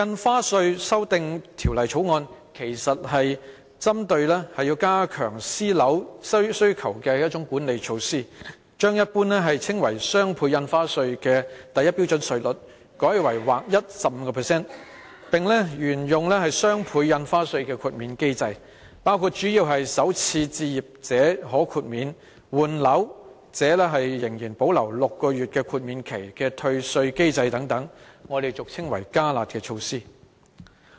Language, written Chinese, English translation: Cantonese, 這項《條例草案》其實是加強私人樓宇需求的管理措施，把一般稱為"雙倍印花稅"的第一標準稅率改為劃一 15%， 並沿用雙倍印花稅的豁免機制，主要包括首次置業者可豁免，換樓者仍然保留6個月豁免期的退稅機制等，我們俗稱為"加辣"的措施。, Actually the Bill introduces an enhanced demand - side management measure to curb the demand of private property . The existing rates at Scale 1 will be charged at a flat rate of 15 % ; the exemptions under the DSD regime will continue under which first - time home buyers will be waived to pay the new rate and people replacing properties can have a grace period of six - month under the refund mechanism . We call these the enhanced curb measures